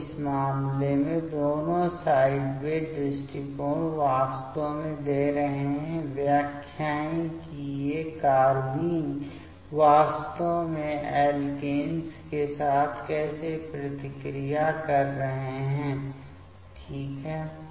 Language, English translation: Hindi, So, in this case both the sideway approach are actually giving, the interpretations that how these carbenes are actually reacting with the alkenes ok